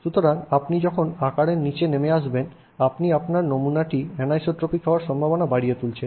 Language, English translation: Bengali, So, when you go down in size you are increasing the chances that your sample is anisotropic